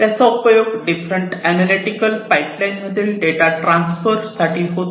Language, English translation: Marathi, And those could be used to transfer the data to different analytical pipelines